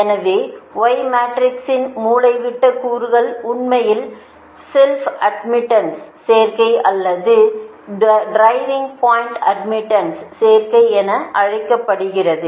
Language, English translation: Tamil, so diagonal elements of y matrix actually is not known as self admittance or driving point admittance